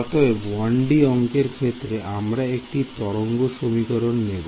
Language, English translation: Bengali, So, this 1D problem we will take the wave equation ok